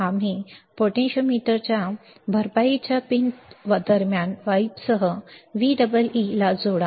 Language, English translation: Marathi, And connect the potentiometer between the compensation pins with wiper to VEE